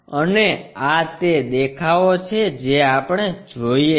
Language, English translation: Gujarati, And, these are the views what we are perceiving